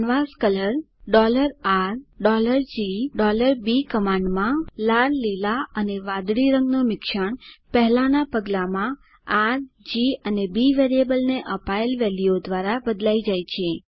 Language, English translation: Gujarati, In the command canvascolor $R,$G, and $B , the Red Green Blue combination is replaced by the values assigned to the variables R, G, and B in the previous step